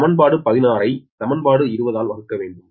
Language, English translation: Tamil, so, eq, you divide equation nineteen by equation twenty